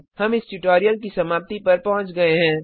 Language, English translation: Hindi, We have come to the end of this tutorial